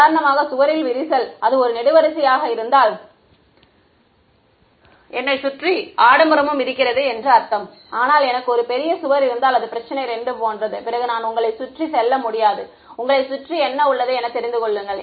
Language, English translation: Tamil, For example, cracks in the wall right, if it were a column then I have the luxury of surrounding, but if I have a huge wall then it is like problem 2 then I cannot go around you know around it